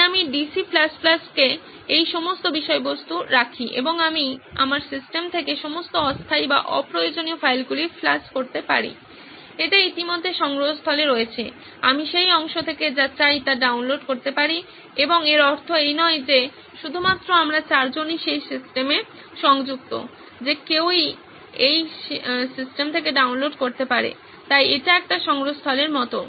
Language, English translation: Bengali, So I go put up all that content in DC++ and I can flush out all the temporary or unrequired files from my system it is already there in the repository, I can download whatever I want from that part and it not just means we four are connected to that system, anyone can download from that system, so it is more like a repository kind of thing as well